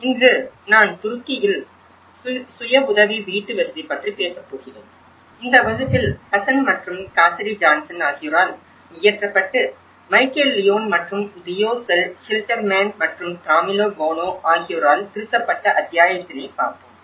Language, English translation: Tamil, Today, I am going to talk about self help housing in Turkey in fact, this particular lecture has been composed based on the understanding from one of the chapter which is composed by Hassan and Cassidy Johnson inbuilt back better, which was edited by Michael Leone and Theo Schilderman and Camillo Boano